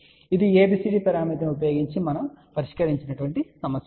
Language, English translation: Telugu, Now, this is problem which we solved using ABCD parameter